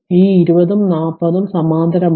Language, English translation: Malayalam, This 20 and 40 they are in parallel right